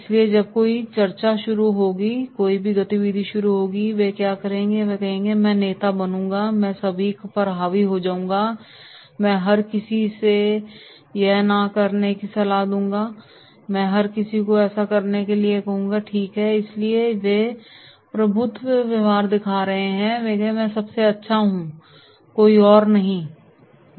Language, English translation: Hindi, So whenever any discussion will start, any activity will start what they will do, they will say “I will be the leader, I will dominate all, I will ask everybody not to do this, I will ask everybody to do this, right” so therefore they are showing the dominance behaviour and they will say “I am the best” right, no other one